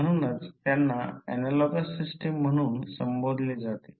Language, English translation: Marathi, So, that is why they are called as analogous system